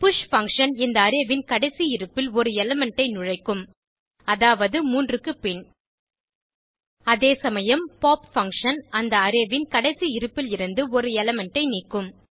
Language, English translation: Tamil, push function will insert an element at the last position of this Array i.e after 3 whereas, pop function will remove an element from the last position of the Array